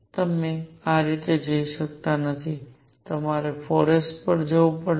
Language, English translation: Gujarati, You cannot go this way; you have to go to 4 s